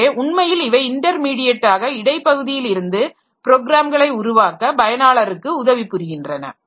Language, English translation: Tamil, So, they are actually all intermediaries that who will be helping the user to develop the programs